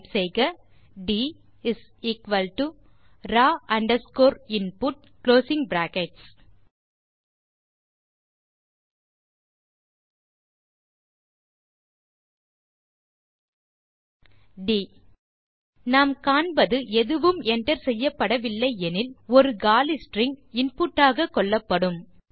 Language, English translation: Tamil, Type d = raw underscore input() d We see that when nothing is entered, an empty string is considered as input